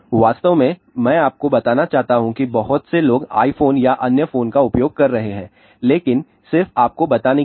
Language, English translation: Hindi, I just want to tell you many people are using iphone or other phones, but just to tell you